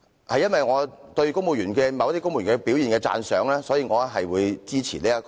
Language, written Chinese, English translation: Cantonese, 基於對某些公務員表現的讚賞，我會支持《條例草案》。, In view of the commendable performance of certain civil servants I will support the Bill